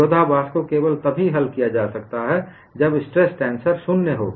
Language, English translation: Hindi, The contradiction can be resolved only when stress tensor is 0